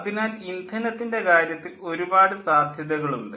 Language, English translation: Malayalam, so there are number of possibilities of fuel